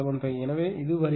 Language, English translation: Tamil, 75, right, so this is actually coming 373